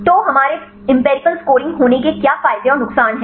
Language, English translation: Hindi, So, what are advantages and disadvantages of we are having this empirical scoring